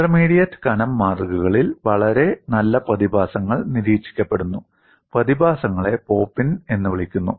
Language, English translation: Malayalam, In intermediate thickness specimens, a very nice phenomenon is observed; the phenomenon is called pop in